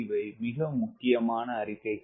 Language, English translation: Tamil, very important statements